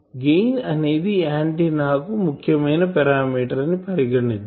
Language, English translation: Telugu, You see that suppose gain is an important parameter for antenna